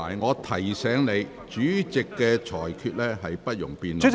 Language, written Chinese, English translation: Cantonese, 我提醒你，主席的裁決是不容辯論的。, I have to remind you that the Presidents ruling is not subject to debate